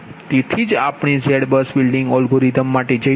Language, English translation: Gujarati, so that's why we will go for z bus building algorithm